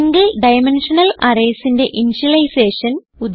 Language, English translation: Malayalam, To initialize Single Dimensional Arrays